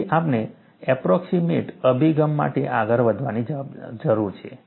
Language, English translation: Gujarati, So, we need to go in for approximate approach